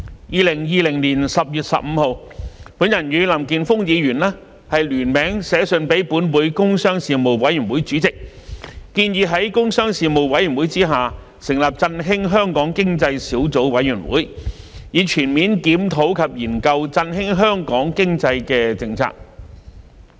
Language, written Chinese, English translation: Cantonese, 2020年10月15日，我與林健鋒議員聯名致函立法會工商事務委員會主席，建議於工商事務委員會下成立振興香港經濟小組委員會，以全面檢討及研究振興香港經濟的政策。, On 15 October 2020 Mr Jeffrey LAM and I jointly wrote to the Chairman of the Legislative Council Panel on Commerce and Industry proposing the setting up of the Subcommittee on Issues Relating to the Stimulation of Hong Kongs Economy under the Panel to comprehensively review and study policies relating to the stimulation of Hong Kongs economy